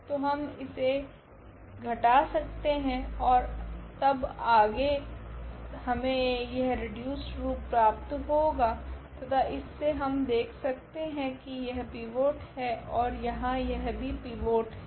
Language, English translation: Hindi, So, we will get this reduced form, and from this reduced form we will now observe that this is the pivot here this is also the pivot